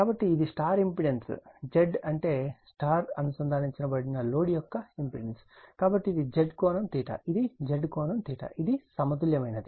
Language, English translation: Telugu, So, this is my star impedance Z your what you call your impedance of the star connected load, so that is Z theta, it is Z angle theta, it is balanced one